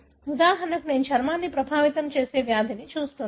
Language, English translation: Telugu, For example, I am looking at a disease that affects the skin